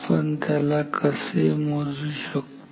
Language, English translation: Marathi, How do we measure